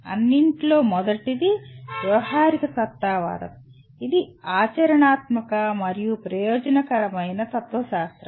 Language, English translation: Telugu, First of all, pragmatism, it is a practical and utilitarian philosophy